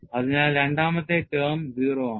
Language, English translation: Malayalam, So, that means, the d y term will be 0